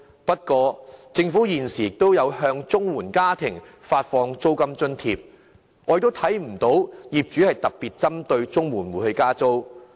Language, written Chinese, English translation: Cantonese, 不過，政府現時亦有向綜援家庭發放租金津貼，但不見得有業主特別針對綜援戶加租。, That said the Government does provide rental allowances to CSSA households currently but we do not see if there are instances in which landlords targeting rental increase at CSSA households